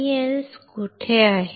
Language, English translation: Marathi, Where is MEMS